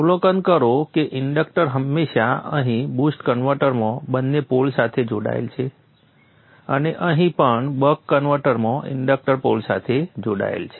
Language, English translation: Gujarati, Observe that the inductor is always connected to the pole both here in the boost converter and also here in the buck converter the inductor is connected to the pole